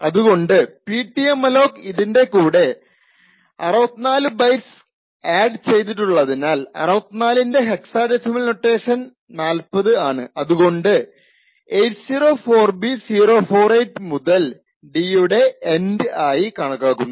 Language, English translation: Malayalam, Now since the size of struct data T is 64 bytes, so therefore the Ptmalloc would have added 64 bytes to this, so 64 in hexadecimal notation is 40, so this is 804B048, so this location onwards signifies the end of d